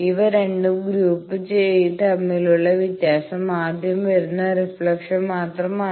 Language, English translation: Malayalam, Only the difference between these two groups is the first one is the first reflection that is coming